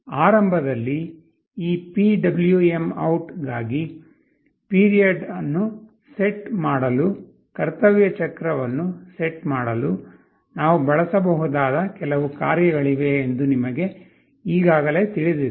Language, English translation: Kannada, In the beginning, for this PwmOut, you already know that there are some functions we can use to set the period, to set the duty cycle, and so on